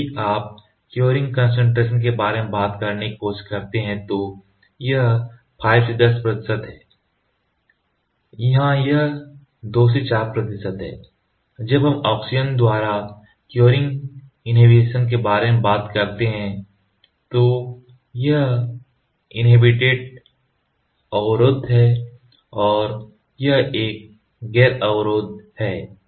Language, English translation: Hindi, Then if you try to talk about the curing concentration it is 5 to 10 percent here it is 2 to 4 percent, when we talk about curing inhibition by oxygen it is inhibited and this one is non inhibited